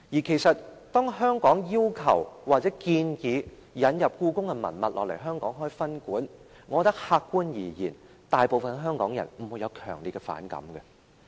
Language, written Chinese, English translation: Cantonese, 其實，當香港要求或建議把故宮的文物引入香港開設分館，我覺得客觀而言，大部分香港人不會有強烈反感。, Actually objectively speaking I think most Hongkongers do not have any strong resentment to Hong Kongs request or proposal for setting up a branch museum in Hong Kong to exhibit the historical relics from the Beijing Palace Museum